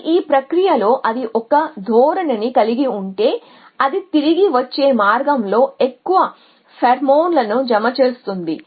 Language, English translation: Telugu, But in the process if as tendency the trail it as deposited more pheromone on the way back